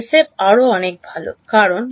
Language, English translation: Bengali, SF is much better because